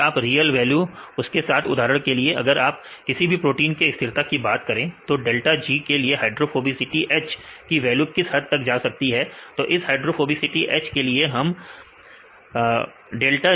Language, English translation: Hindi, Then if you go with the real values for example, if you talk about the protein stability how far the value changes with H with delta G right with this H hydrophobicity this delta G we get different points